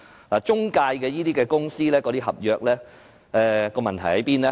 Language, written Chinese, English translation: Cantonese, 那些中介公司合約的問題何在呢？, What is the problem with the contracts of those intermediaries?